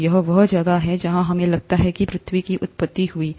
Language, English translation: Hindi, So this is where we think the origin of earth happened